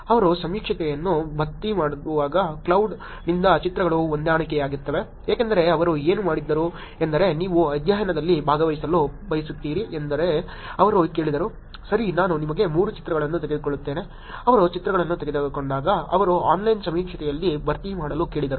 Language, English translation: Kannada, Pictures matched from cloud while they are filling the survey, because what they did was they ask that you want to participate in the study, ok I will take you 3 pictures, when they took the pictures then they asked into fill on online survey